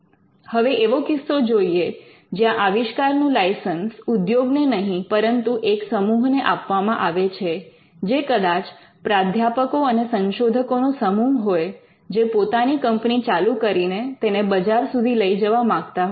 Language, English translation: Gujarati, Now, in cases where the invention is not licensed to an industry rather there are group of people probably a team of professors and researchers, who now want to set up their own company and then take it to the market